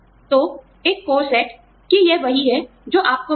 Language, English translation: Hindi, So, one core set, that this is what, you will get